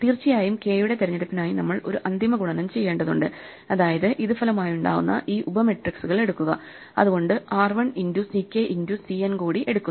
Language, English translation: Malayalam, Of course, for that choose of k, we have to do one final multiplication which is to take these resulting sub matrices, so that is r 1 into c k into c n